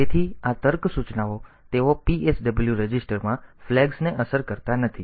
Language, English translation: Gujarati, So, this logic instructions they do not affect the flags in the PSW register